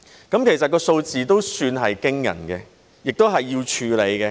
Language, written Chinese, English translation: Cantonese, 這數字都算驚人，亦需要處理。, This figure is quite astonishing and needs to be addressed